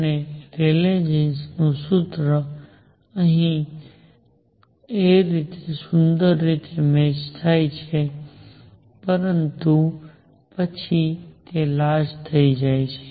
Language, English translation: Gujarati, And the Rayleigh Jeans formula matches beautifully out here and, but then it becomes large here